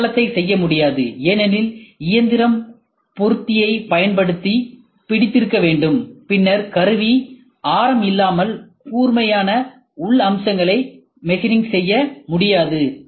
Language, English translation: Tamil, Base cannot be machined, since machine must hold using fixture, then sharp internal features cannot be machined without a tool radius